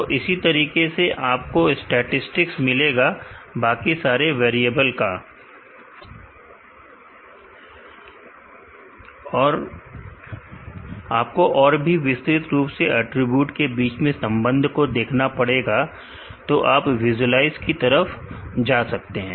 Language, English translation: Hindi, So, similarly you can get statistics of all other variable here, you want to look into much more detail the relation between the attributes you can go to visualize